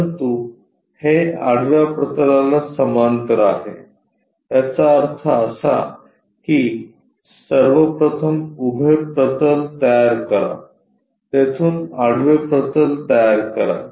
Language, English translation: Marathi, But it is parallel to horizontal plane; that means, first of all construct a vertical plane from there construct a horizontal plane